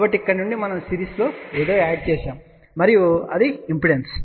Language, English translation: Telugu, So, from here we are added something in series and that was impedance